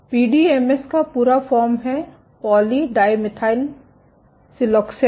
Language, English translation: Hindi, PDMS is full form is poly dimethyl siloxane